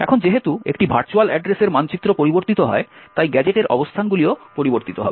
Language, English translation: Bengali, Now, since a virtual address map changes, the locations of the gadget would change